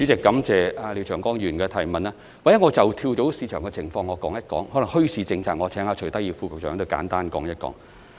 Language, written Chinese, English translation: Cantonese, 或者我說一說跳蚤市場的情況，而墟市政策方面，則請徐德義副局長簡單答覆。, Perhaps let me talk about the situation about flea markets and regarding the policy on bazaars I will ask Under Secretary Dr CHUI Tak - yi to give a brief reply